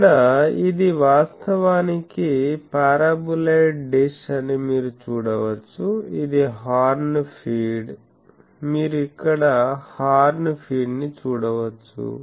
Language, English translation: Telugu, Here, you can see this is actually a paraboloid dish, this is the horn feed; you can see the horn feed here